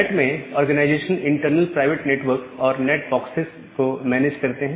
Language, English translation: Hindi, Now, in NAT the organization, they manages the internal private network and the NAT boxes